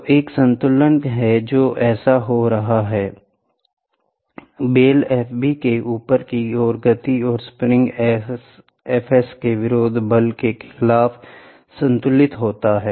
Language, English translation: Hindi, So, there is a balance which is happening so, the upward movement of the bell F b and is balanced against the opposing force of the spring F s